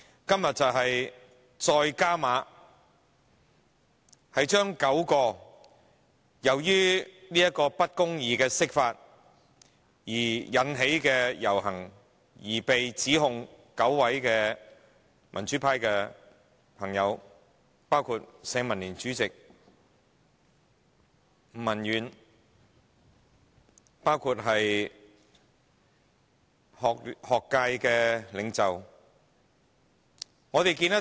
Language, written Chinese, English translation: Cantonese, 今天，梁振英政府再進一步，控告9位因抗議不公義釋法而參加遊行的民主派朋友，包括社會民主連線主席吳文遠及一些學界領袖等。, Today the LEUNG Chun - ying Administration takes a step further to institute prosecutions against nine democrats who took to the street protesting against unjust interpretation of the Basic Law including the Chairman of League of Social Democrats Avery NG and some leading figures of the academic sector